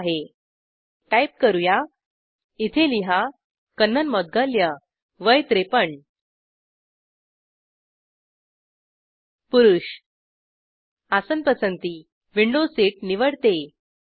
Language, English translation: Marathi, Let me go and book it Ok let me type, My name Kannan Moudgalya, Age 53, Male, Berth preference âeuroldquo suppose i choose Window seat